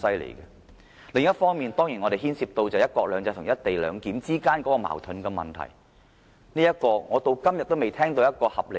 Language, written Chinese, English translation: Cantonese, 另一方面，當然，這方案牽涉到"一國兩制"和"一地兩檢"之間的矛盾，而有關這方面，我至今仍未聽到合理答案。, Another point is of course whether the co - location arrangement is in conflict with one country two systems . In this regard I have not heard any sensible answer so far